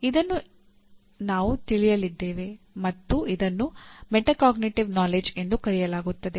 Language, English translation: Kannada, And this we are going to address what we call metacognitive knowledge